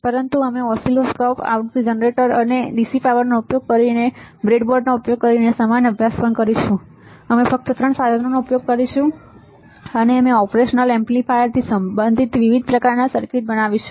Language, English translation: Gujarati, But we will also do the similar study using the breadboard using the oscilloscope, frequency generator and dc power supply, the only three equipments we will use and we will design several kind of circuits related to the operational amplifier all right